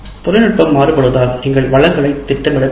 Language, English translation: Tamil, Now these days because of the technologies vary, you need to plan for resources